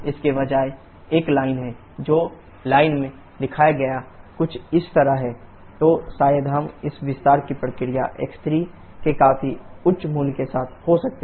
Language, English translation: Hindi, That is instead of having a line which is shown in the line is somewhat like this then maybe we can have this expansion process with significantly higher value of x3